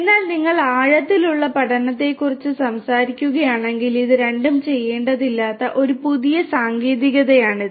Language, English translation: Malayalam, But you know if you are talking about deep learning, this is a newer technique where you do not have to do these two